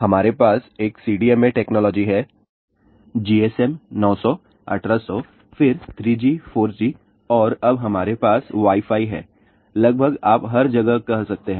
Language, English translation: Hindi, We have a CDMA technology, GSM 900 , 1800 , then 3G, 4G and now we have Wi Fi, almost you can say everywhere